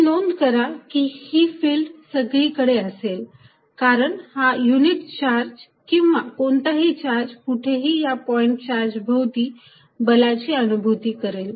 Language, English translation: Marathi, So, notice that field exist everywhere, because given a unit charge or given any charge, anywhere around the point charge is going to experience a force